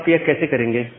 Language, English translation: Hindi, Now how you can do that